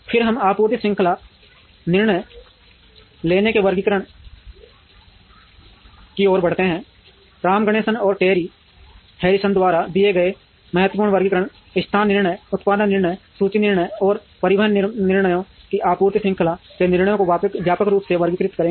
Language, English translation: Hindi, Then we move on to classification of supply chain decision making, the important classification given by Ram Ganeshan and Terry Harrison would broadly classify supply chain decisions into location decisions, production decisions, inventory decisions and transportation decisions